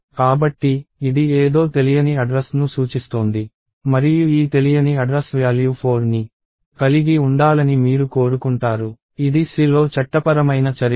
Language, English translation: Telugu, So, this is pointing to some unknown address and you want this unknown address to have the value 4, this is not a legal operation in C